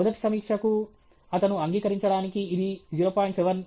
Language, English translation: Telugu, For the first reviewer, for him to accept it is 0